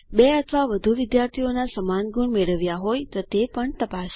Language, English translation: Gujarati, Check also if two or more students have scored equal marks